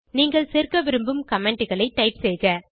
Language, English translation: Tamil, Type the comments that you wish to add